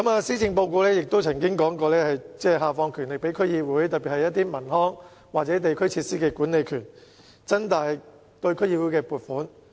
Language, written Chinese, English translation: Cantonese, 施政報告亦曾經提到會下放權力予區議會，特別是一些文康或地區設施的管理權，以及增加對區議會的撥款。, In past policy addresses the devolution of powers to DCs was also mentioned particularly in respect of enhancing DCs power in managing leisure or district facilities and increasing the funding for DCs